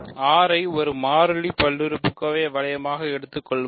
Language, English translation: Tamil, Let us take R to be the polynomial ring in one variable